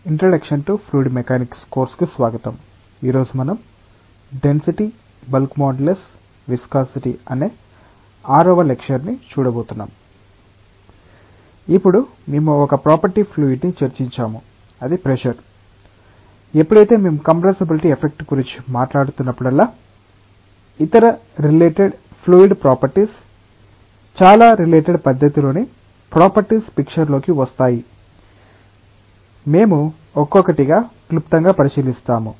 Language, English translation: Telugu, Now, we have discussed about one fluid property which is pressure, whenever we are talking about effects of compressibility there are other related fluid properties which come into the picture in a very related manner and those properties, we will look into one by one briefly